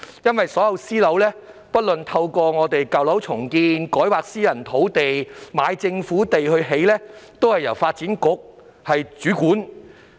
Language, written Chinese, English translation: Cantonese, 所有私樓，包括透過舊樓重建、改劃私人土地及購買政府土地興建的項目，均由發展局主管。, All private housing from sources including urban renewal development projects private rezoned sites and the sale of government sites are under the purview of the Development Bureau